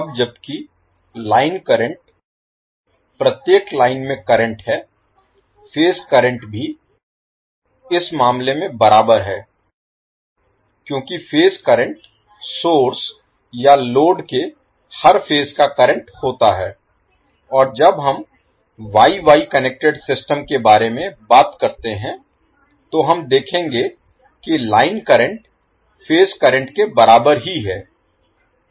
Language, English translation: Hindi, Now while the line current is the current in each line, the phase current is also same in this case because phase current is the current in each phase of source or load and when we talk about the Y Y connected system we will see that the line current is same as the phase current